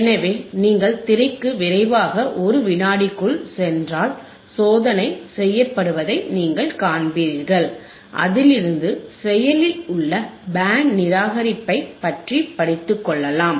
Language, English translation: Tamil, So, if you quickly go to the screen for a second, you will see that the experiment is to study the working of active band reject filter active band reject filter